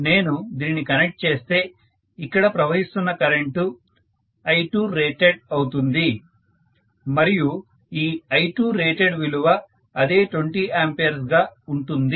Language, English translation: Telugu, 5 ohm, if I am connecting this, the current flowing here will be I2 rated and I2 rated is same as 20 ampere, right